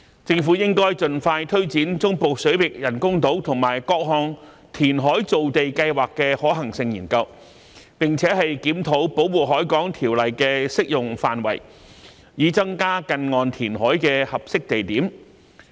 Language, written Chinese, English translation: Cantonese, 政府應盡快推展中部水域人工島和各項填海造地計劃的可行性研究，並檢討《保護海港條例》的適用範圍，以增加近岸填海的合適地點。, The Government should expeditiously take forward the project of artificial islands in the Central Waters and the feasibility studies on various reclamation plans for land creation and review the scope of application of the Protection of the Harbour Ordinance to increase suitable sites for near - shore reclamation